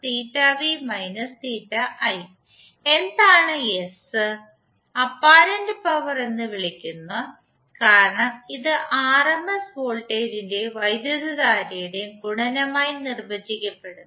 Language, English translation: Malayalam, S is called as apparent power because it is defined as a product of rms voltage and current